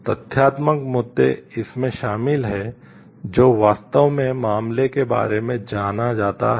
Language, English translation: Hindi, Factual issues involved what is actually known about the case